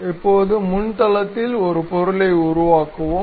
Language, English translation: Tamil, Now, let us construct an object on the front plane